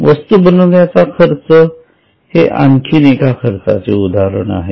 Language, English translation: Marathi, Manufacturing expense is another expense